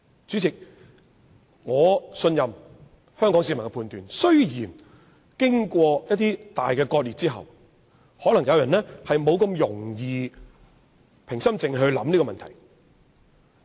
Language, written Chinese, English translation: Cantonese, 主席，我信任香港市民的判斷，儘管經過一些大割裂後，有人可能難以平心靜氣考慮此問題。, President I trust the judgment of Hong Kong people . Despite the serious splits of the society some people may find it hard to consider this issue in a rational and calm manner